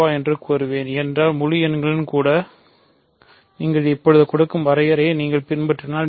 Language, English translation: Tamil, So, always we will say a gcd because even in integers if you follow the definition of that I will give now